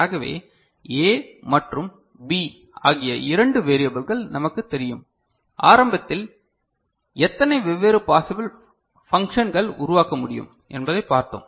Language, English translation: Tamil, So, with two variables B and A we know, we had seen it in the beginning how many different possible functions can be generated ok